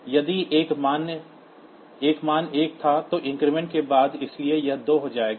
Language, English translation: Hindi, If a value was 1, then after increment, so it will become 2